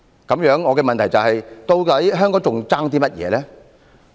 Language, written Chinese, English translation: Cantonese, 那麼，我的問題是，究竟香港尚欠甚麼？, In that case may I ask what Hong Kong still lacks?